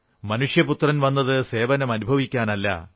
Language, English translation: Malayalam, The Son of Man has come, not to be served